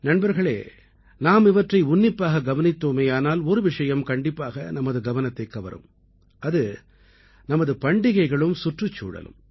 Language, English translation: Tamil, Friends, if we observe very minutely, one thing will certainly draw our attention our festivals and the environment